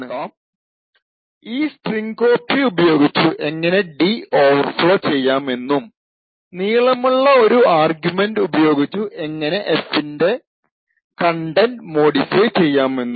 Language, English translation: Malayalam, Now we will see how we can actually overflow d using this strcpy and passing an argument which is longer and how we could actually modify the contents of f